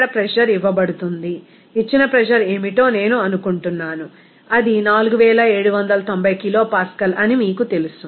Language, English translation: Telugu, Pressure is given there, I think what is the pressure given, it is you know that 4790 kilopascal